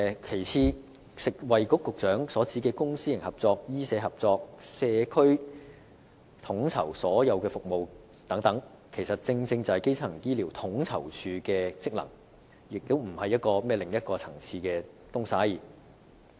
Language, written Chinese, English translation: Cantonese, 其次，食物及衞生局局長所指的公私營合作、醫社合作和在社區統籌所有服務等，其實正正是基層醫療統籌處的職能，並非另一層次的工作。, Besides the public - private partnership medical - social collaboration and coordination of all services by the community as referred to by the Secretary for Food and Health are precisely the functions of the Primary Care Office not the work at another level